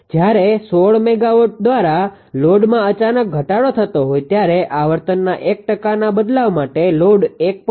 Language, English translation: Gujarati, 5 percent for a 1 percent change in frequency when there is a sudden drop in load by 16 megawatt